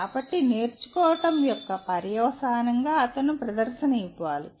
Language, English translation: Telugu, So as a consequence of learning, he has to perform